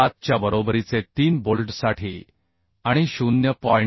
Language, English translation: Marathi, 7 for 3 bolts and 0